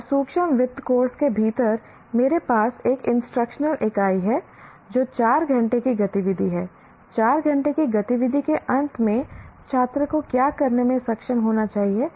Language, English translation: Hindi, And within microfinance course, I have one instructional unit that constitutes, let us say, four hours of activity